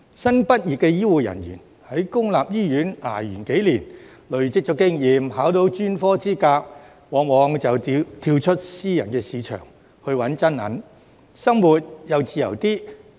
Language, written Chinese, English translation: Cantonese, 新畢業的醫護人員，在公立醫院捱了幾年，累積了經驗，考取了專科資格後，往往會跳到私人市場"搵真銀"，生活也自由些。, Newly graduated healthcare personnel who have worked in public hospitals for several years accumulated experience and obtained specialist qualifications will often switch to the private market to make real money and enjoy life with more freedom